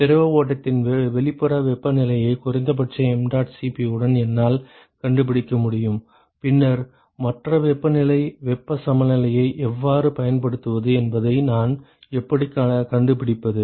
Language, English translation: Tamil, I can find out the outer temperature of the fluid stream with minimum mdot Cp of and then how do I find the other temperature simply use heat balance, right